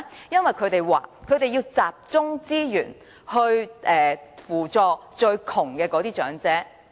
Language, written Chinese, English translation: Cantonese, 局長和政府經常說，因為要集中資源扶助最貧窮的長者。, The Secretary and the Government often say the reason is to concentrate resources on helping the poorest elderly persons